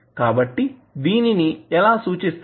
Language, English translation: Telugu, So, how you will represent them